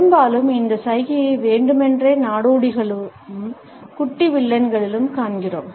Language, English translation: Tamil, Often we come across this gesture deliberately in tramps as well as in petty villains